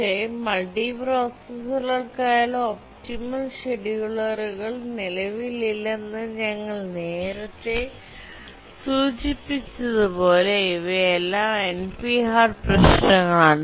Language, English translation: Malayalam, But as you already indicated that optimal schedulers for multiprocessors are not there because these are all NP Hard problems